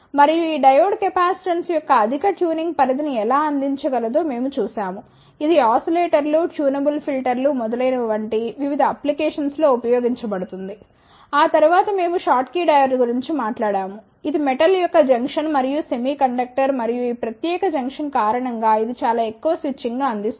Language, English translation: Telugu, And, we saw that how this diode can provide the high tuning range of capacitance, which will be used in various applications like in oscillators, tunable filters, etcetera, after that we talked about the schottky diode, which is the junction of metal and the semiconductor and due to this particular junction it provides very high switching